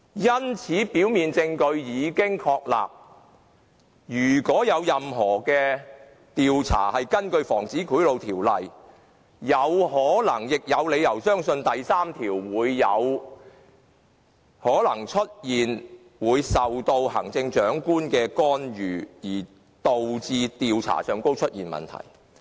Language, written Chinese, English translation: Cantonese, 因此，雖然表面證據已經確立，但如果任何調查是根據《防止賄賂條例》進行的，我們便有可能亦有理由相信第3條會出現受到行政長官干預而導致調查出現問題。, Therefore we can reasonably believe that despite the establishment of a prima facie case any investigation conducted under the Prevention of Bribery Ordinance may face intervention from the Chief Executive and fail to proceed due to section 3